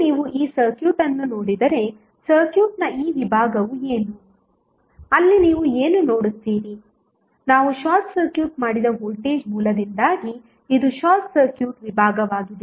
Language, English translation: Kannada, Now, if you see this circuit, this segment of the circuit what, what is there you will see this is the short circuit compartment because of the voltage source we short circuited